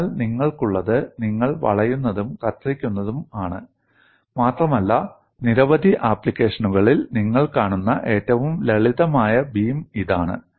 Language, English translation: Malayalam, So, what you are having is you are having bending as well as shear and this is the simplest beam that you come across in many applications